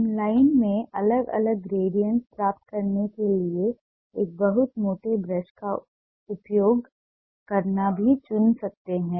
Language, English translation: Hindi, we may also choose to use a very fat brush and use it to get different gradients in line